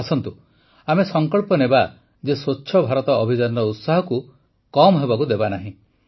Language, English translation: Odia, Come, let us take a pledge that we will not let the enthusiasm of Swachh Bharat Abhiyan diminish